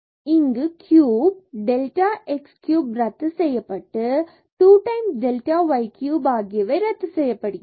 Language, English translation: Tamil, So, here also this cube, so this delta x cube will get cancelled 2 times delta y cube will get cancel